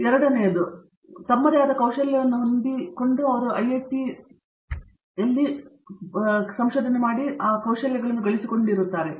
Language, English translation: Kannada, A second a second add on is their own skills set that they gain while they are here at IIT